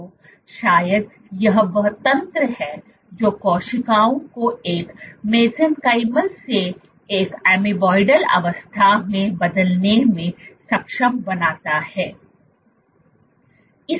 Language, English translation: Hindi, So, maybe this is the mechanism which an enable cells to switch from a mesenchymal to an amoeboidal state